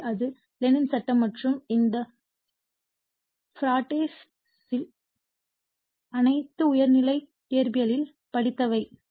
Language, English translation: Tamil, So, this is Lenz’s law and this Faradays all these things we have studied in your higher secondary physics right